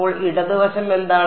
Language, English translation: Malayalam, So, what is the left hand side